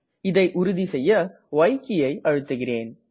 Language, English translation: Tamil, I will confirm this by entering y